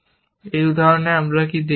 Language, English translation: Bengali, What we have shown in this example